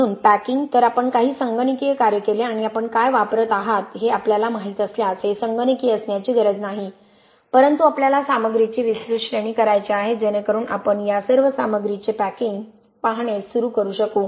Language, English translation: Marathi, Ok so packing, so we did some computational work and again this doesnÕt have to be computational if you if you know what you are using but we want to do a wide range of materials so that we can start looking at packing of all these materials in different spaces